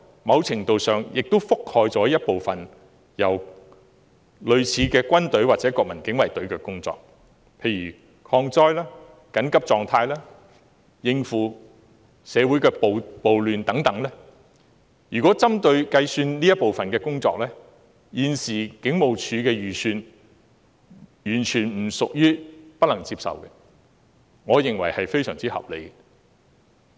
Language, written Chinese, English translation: Cantonese, 某程度上，警隊負責了部分類似軍隊或國民警衞隊的工作，例如抗災、緊急狀態、應付社會暴亂等，如果計算這部分的工作，現時警務處的預算完全不屬於不能接受，我認為是非常合理的。, To a certain extent the Police shoulder some duties similar to those of the army or the National Guard such as disaster relief state of emergency and handling social upheavals . Taking these duties into account I find the current estimate of the Police Force acceptable and totally reasonable